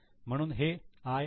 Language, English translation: Marathi, So, it's a I